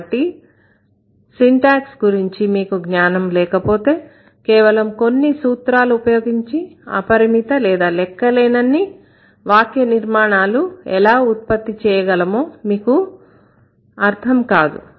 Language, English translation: Telugu, But without knowing syntax, you would not understand how this limitless, unlimited constructions can be produced or unlimited structures can be produced just by using a handful of rules